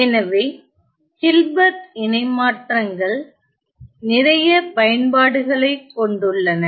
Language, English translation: Tamil, So, Hilbert transforms have lot of applications